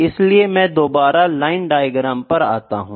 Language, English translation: Hindi, So, I will come to line diagram again